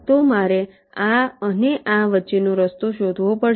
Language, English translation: Gujarati, so i have to find out path between this and this